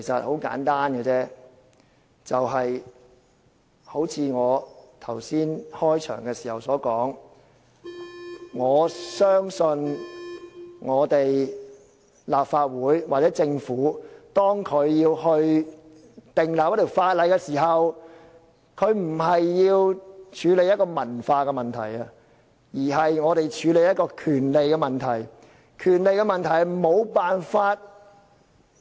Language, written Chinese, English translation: Cantonese, 很簡單，正如我剛才開始發言時所說，我相信立法會或政府訂立一項法例時，不是要處理文化問題，而是處理權利問題。, Simple enough as I said at the outset of my speech earlier I believe the enactment of a piece of legislation by the Legislative Council or the Government serves not to deal with cultural issues but to deal with rights issues